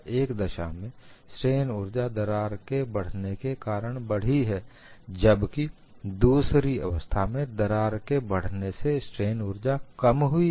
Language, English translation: Hindi, In one case, strain energy increased because of crack advancement, in another case strain energy has decreased because of crack advancement